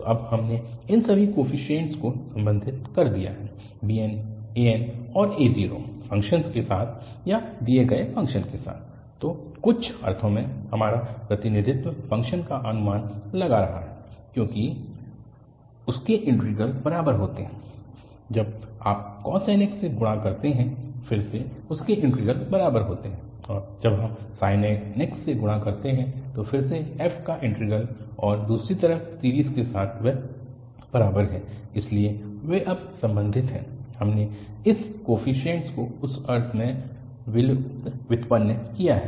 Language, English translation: Hindi, So, in some sense our representation is approximating the function because their integrals are equal, when you multiply by cos nx again their integrals are equal and when we multiply by sin nx again the integral of f and the other side with the series that is equal, so they are related now, we have just derived these coefficients in that sense